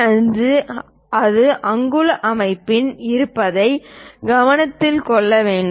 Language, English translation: Tamil, 5 then it should be noted that it is in inch system